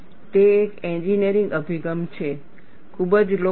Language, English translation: Gujarati, It is an engineering approach; very popular